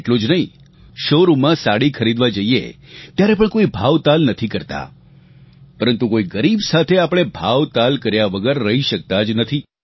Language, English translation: Gujarati, Not just this, when we go to a showroom to buy a saree, we don't bargain, but when it comes to someone poor, we just cannot resist bargaining